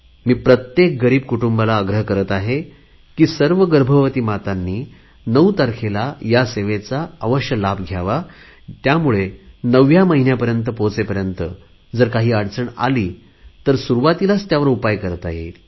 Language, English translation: Marathi, I urge all poor families to ensure that all pregnant women avail of this benefit on the 9th of every month, so that if by the time they reach the 9th month any complication arises, it can be dealt with suitably in time and the lives of both mother and child can be saved